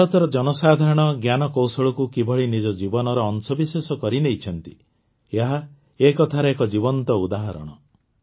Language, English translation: Odia, This is a living example of how the people of India have made technology a part of their lives